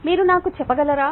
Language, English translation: Telugu, can you tell me right